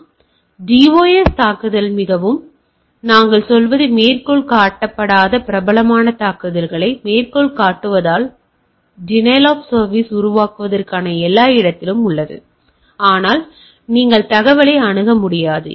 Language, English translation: Tamil, So, dos attack very, what we say quote unquote popular attack so to say to create a denial of service everything is in place, but you cannot access the information